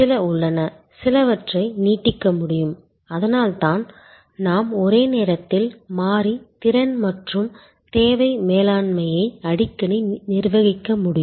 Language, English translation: Tamil, There are some, to some extend it can be done; that is why we have to often manage variable capacity and demand management at the same time